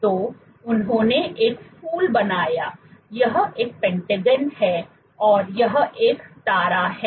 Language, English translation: Hindi, So, they made a flower this is a pentagon and this is a star